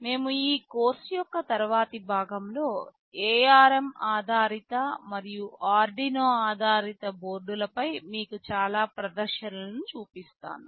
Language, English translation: Telugu, In the later part of this course, we shall be showing you lot of demonstration on ARM based and Arduino based boards